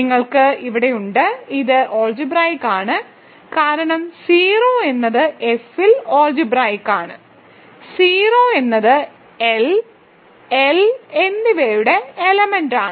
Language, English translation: Malayalam, So, you have these; this is algebraic because a 0 is algebraic over F, a 0 being an element of L and L is an algebraic extension of F, a 0 is algebraic over F